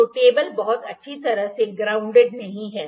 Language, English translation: Hindi, So, the table is not grounded very well